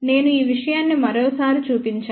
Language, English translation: Telugu, I have shown this thing one more time